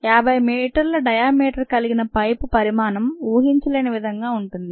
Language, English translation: Telugu, the pipe size having a fifty, fifty meter diameter is unimaginable